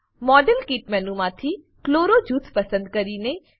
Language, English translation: Gujarati, Select Chloro group from the model kit menu